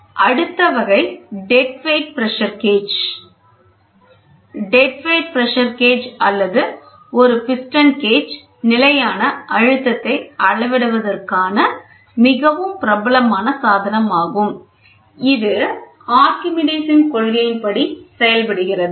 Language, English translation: Tamil, The next type is dead weight pressure gauge; dead weight pressure gauge or a piston gauge is a very popular device for measuring the static pressure, it works on Archimedes principle